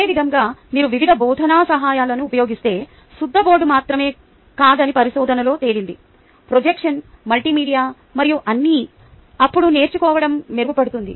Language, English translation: Telugu, similarly, researchers, i shown the, if you use various teaching aids right, not just the chalkboard, projections, multimedia and all that, then learning is better